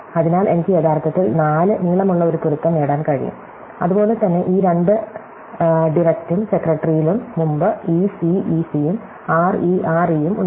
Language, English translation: Malayalam, So, I can actually get a match which is length 4, likewise in these two director and secretary, earlier we had re, re and we had ec, ec